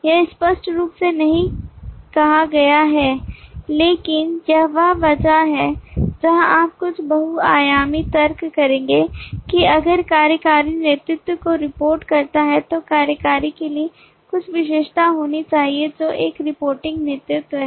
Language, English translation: Hindi, it is not explicitly said, but this is where you will do some extensional logic that if the executive reports to the lead then there has to be some attribute for an executive which is a reporting lead